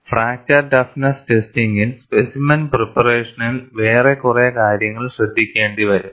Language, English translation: Malayalam, Once you come to fracture toughness testing, even specimen preparation is quite involved